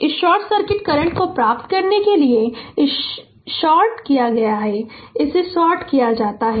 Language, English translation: Hindi, To get this your short circuit current, this is shorted this is shorted right